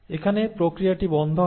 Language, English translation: Bengali, So here the process will stop